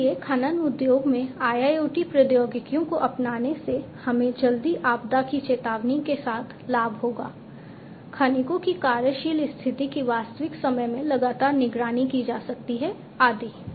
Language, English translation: Hindi, So, the adoption of IIoT technologies in the mining industry we will benefit in terms of having early with disaster warning, working condition of the miners can be monitored in real time continuously, and so on